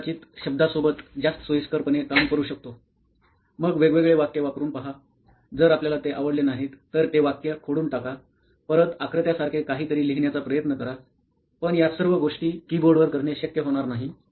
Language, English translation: Marathi, We probably like to prefer work with words around here and there, then try different sentences if you do not like we are all used to striking off, then again try writing something similar with diagrams, so all these activities are not supported on a keyboard efficiently